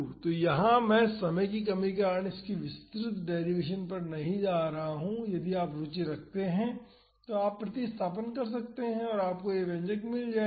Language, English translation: Hindi, So, here I am not going to the detailed derivation of this because of time constraints, if you are interested you can carry out the substitution and you would get this expression